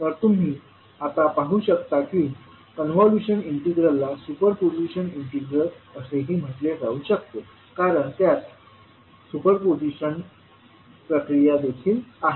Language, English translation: Marathi, So you can now see that the convolution integral can also be called as the super position integral because it contains the super position procedure also